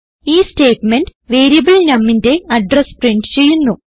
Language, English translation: Malayalam, This statement will print the address of the variable num